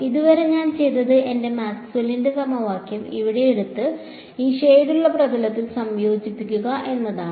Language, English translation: Malayalam, So, so far all I did is I took my Maxwell’s equation over here and integrated over this shaded surface over here that is fine right